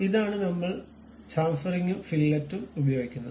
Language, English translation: Malayalam, This is the way we use chamfering and fillet